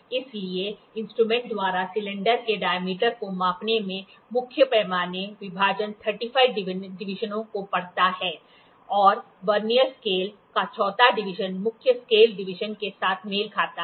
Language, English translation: Hindi, In measuring the diameter of the cylinder by this instrument by this instrument, the main scale division reads 35 divisions and the 4th division of the Vernier scale coincides with main scale division